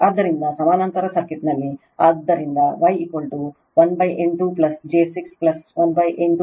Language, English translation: Kannada, So, in the parallel circuit; so, Y is equal to 1 upon 8 plus j 6 plus 1 upon 8